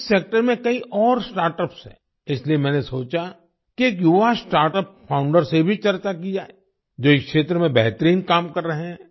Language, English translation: Hindi, There are many other startups in this sector, so I thought of discussing it with a young startup founder who is doing excellent work in this field